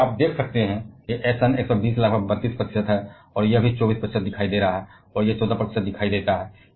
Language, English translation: Hindi, Because you can see where Sn 120 appears about 32 percent, this is also appearing 24 percent, and this appears 14 percent